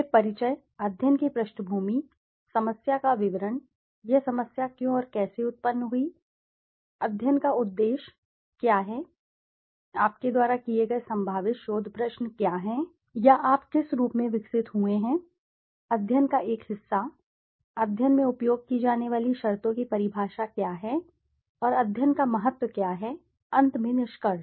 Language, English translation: Hindi, Then the introduction, in the introduction the background of the study, the problem statement why/how did this problem arise, what is the purpose and objective of the study, what are the possible research questions that you have come across or you have developed as a part of the study, what are the definitions of the terms being used in the study and what is the significance of the study, finally the conclusion